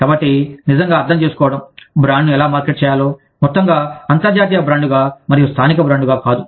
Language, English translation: Telugu, So, really understanding, how to market the brand, as a whole, as an international brand, and not as a local brand